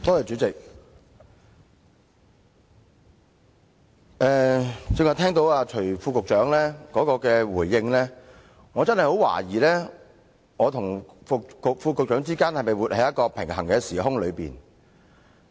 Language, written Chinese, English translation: Cantonese, 主席，最近聽到徐副局長的回應，我真的很懷疑我與副局長是否活在一個平衡的時空。, President having heard the response of Under Secretary Dr CHUI Tak - yi . I really doubt if the Under Secretary and I are living in the same time and space